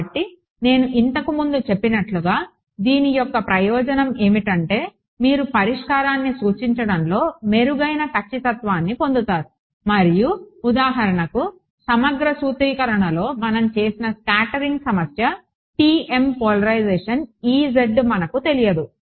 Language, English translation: Telugu, So, as I mentioned earlier the advantage of this is that you get much better accuracy in representing a solution and for example, the scattering problem which we did in the integral formulation are unknown there was E z TM polarization